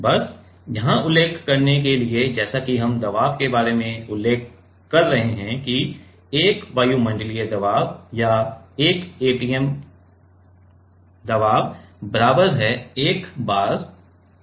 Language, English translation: Hindi, Just to mention here as we are mentioning about the pressure come that 1 atmospheric pressure or 1 atm is equals to; is equal to 1 bar